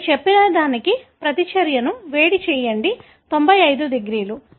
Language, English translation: Telugu, You heat the reaction to say, 95 degrees